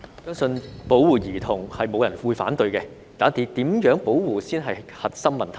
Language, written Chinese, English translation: Cantonese, 相信沒有人會反對保護兒童，但如何保護才是核心問題。, I do not think there will be anyone opposing child protection . The question is how we can protect the children